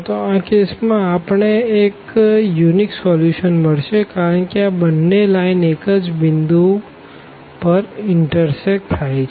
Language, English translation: Gujarati, So, precisely in this case what we got we got the unique solution because these 2 lines intersect exactly at one point